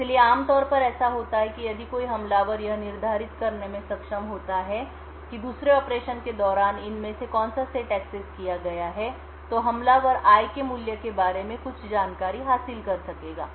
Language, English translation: Hindi, So, what typically would happen is that if an attacker is able to determine which of these sets has been accessed during the second operation the attacker would then be able to gain some information about the value of i